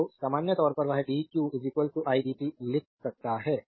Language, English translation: Hindi, So, in general we can write that dq is equal to i dt